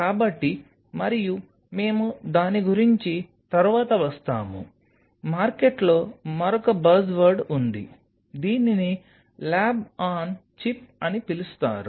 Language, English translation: Telugu, So, and we will be coming later about it the there is another buzzword in the market which is called lab on a chip